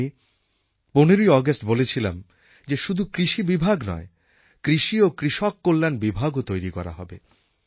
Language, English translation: Bengali, That is why I declared on 15th August that it is not just an agricultural department but an agricultural and farmer welfare department will be created